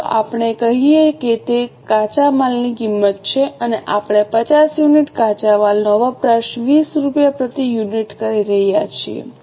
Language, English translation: Gujarati, Let us say it is a raw material cost and we are consuming 50 units of raw material at rupees 20 per unit